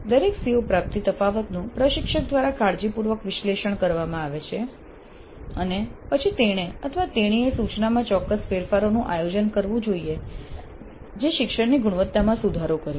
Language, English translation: Gujarati, Each CO attainment gap is carefully analyzed by the instructor and then he or she must plan the specific changes to instruction that improve the quality of the learning and these improvement plans must be specific